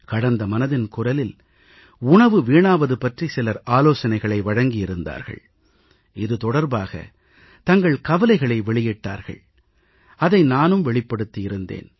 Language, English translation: Tamil, In the previous 'Mann Ki Baat', some people had suggested to me that food was being wasted; not only had I expressed my concern but mentioned it too